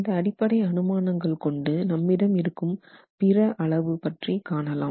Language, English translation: Tamil, So, with these basic assumptions let's proceed looking at the other quantitative information that is available